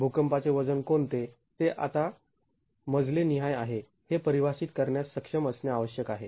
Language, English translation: Marathi, It requires us to be able to define what is the seismic weight now floor wise